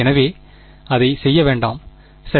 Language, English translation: Tamil, So, do not do it like that right